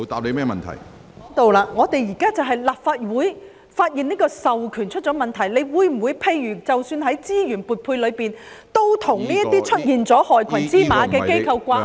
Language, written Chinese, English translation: Cantonese, 立法會現時就是發現這個授權出現問題，局長，在資源撥配等方面，你會否與這些出現了害群之馬的機構掛鈎呢？, Secretary in respect of resource allocation and so on will you consider linking this to those organizations found to have black sheep?